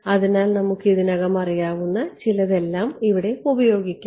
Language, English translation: Malayalam, So, we can use something that we already know towards over here ok